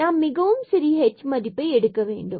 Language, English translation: Tamil, For example, we take h is equal to 0